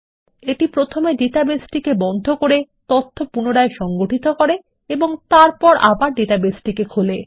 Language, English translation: Bengali, This will first close the database, reorganize the data and then re open the database